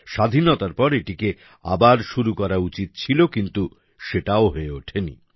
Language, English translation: Bengali, It should have been started after independence, but that too could not happen